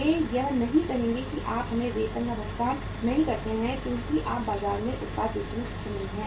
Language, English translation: Hindi, They will not say that you do not pay us the salaries because you are not able to sell the product in the market